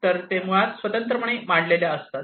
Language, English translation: Marathi, So, they are basically specified independently